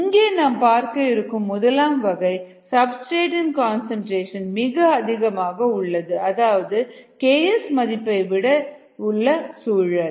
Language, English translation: Tamil, the first case is that the substrate concentration is much, much greater then the k s value